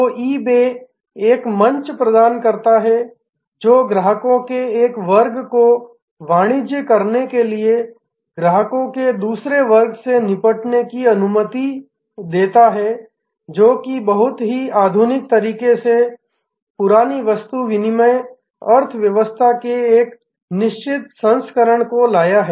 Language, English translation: Hindi, So, eBay provides a platform, which allows one class of customers to deal with another class of customers to do commerce, which in a very modern way has brought about a certain version of the old barter economy